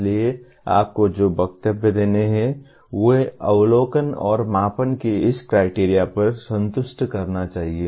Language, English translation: Hindi, So the statements that you have to make should satisfy this criteria of observability and measurability